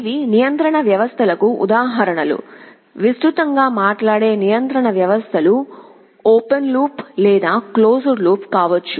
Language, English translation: Telugu, These are examples of control systems; broadly speaking control systems can be either open loop or closed loop